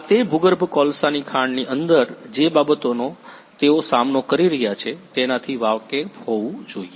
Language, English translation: Gujarati, This should be aware of the things that they are going to face inside that underground coal mine